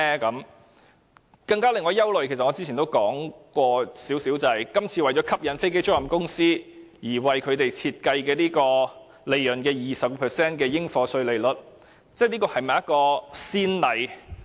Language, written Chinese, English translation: Cantonese, 令我更為憂慮的是，正如我較早前稍微提到，今次為了吸引飛機租賃公司而為他們設計的利潤 20% 的應課稅款額，這會否成為先例？, There is one thing that worries me even more . In order to attract aircraft leasing business to Hong Kong the Government has set the assessable amount at 20 % of the profits . But as I have mentioned briefly will this become a precedent?